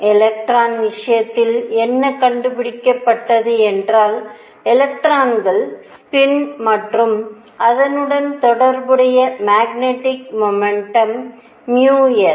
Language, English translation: Tamil, What was found in the case of electron; however, for electrons spin and the related the magnetic moment mu s